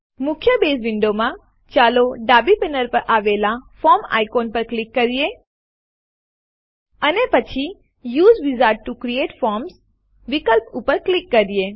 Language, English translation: Gujarati, In the main Base window, let us click on the Forms icon on the left panel And then click on the Use Wizard to create Form option